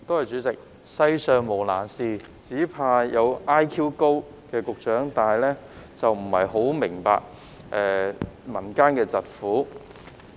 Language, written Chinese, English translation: Cantonese, 主席，世上無難事，只怕有局長 IQ 高但卻不太明白民間疾苦。, President nothing in the world is difficult but I am afraid the Secretary with a high IQ cannot understand the sufferings of the people